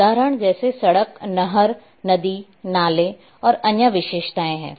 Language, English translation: Hindi, Examples are road, canal, river, streams, and other features